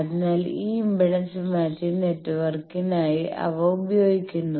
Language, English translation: Malayalam, So, they are used for this impedance matching network